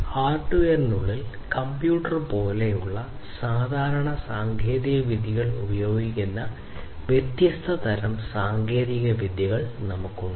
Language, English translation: Malayalam, So, within hardware we have different types of technologies that are used commonly technologies such as computer